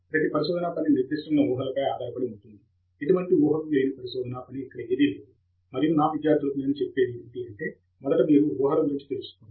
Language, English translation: Telugu, Every research work is based on certain assumption; there is no research work which is devoid of any assumptions, and what I tell my students is, first be aware of the assumptions that you have made